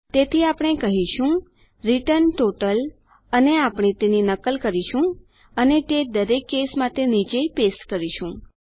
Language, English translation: Gujarati, So we are going to say return total and we are going to copy that and paste it down for each case